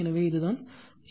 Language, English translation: Tamil, So, this is the idea